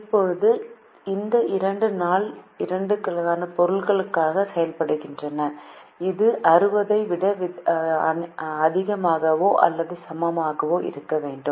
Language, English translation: Tamil, now these two act as supplies for day two and this should be greater than or equal to sixty